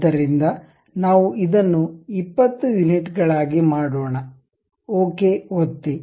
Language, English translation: Kannada, So, let us make it 20 units, click ok